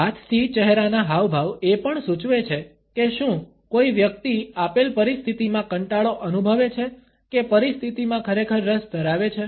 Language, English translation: Gujarati, The hand to face gestures also suggests, whether a person is feeling bored in a given situation or is genuinely interested in the situation